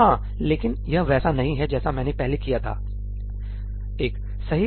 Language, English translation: Hindi, Yeah, but that is not the way I did this previous one, right